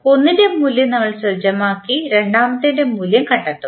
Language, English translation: Malayalam, We will set the value of one and find out the value of second